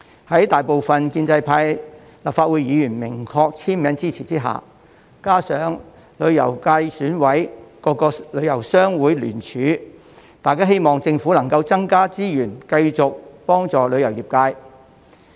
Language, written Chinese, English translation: Cantonese, 在大部分建制派立法會議員明確簽名支持下，加上旅遊界選委各個旅遊商會聯署，大家希望政府能夠增加資源繼續幫助旅遊業界。, With the majority of the pro - establishment Members signing their support together with the joint signature of the tourism associations in the tourism sector of the Election Committee we hope that the Government can continue to provide additional resources to help the tourism industry